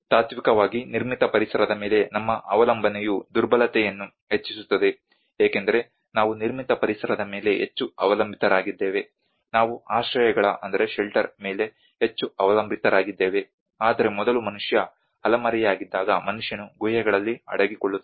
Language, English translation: Kannada, Ideally our dependency on the built environment itself enhances vulnerability because we depend more on the built environment, we depend more on the shelters, earlier when man was a nomad when man was hiding in caves